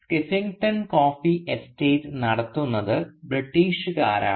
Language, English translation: Malayalam, Now the Skeffington coffee estate, we are told, is run by a British